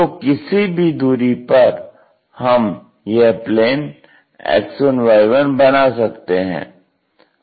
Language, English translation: Hindi, So, somewhere here we make such kind of X1 Y1 plane